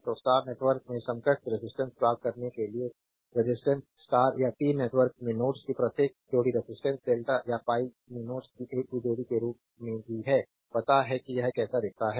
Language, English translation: Hindi, So, for obtaining the equivalent resistances in the star network, the resistance between each pair of nodes in the star or T network is the same as the resistance between the same pair of nodes in the delta or pi you know how it looks like